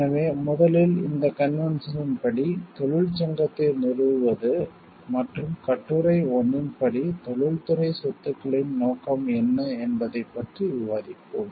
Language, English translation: Tamil, So, first we will discuss according to this convention, what is the establishment of the union and the scope of industrial property according to the article 1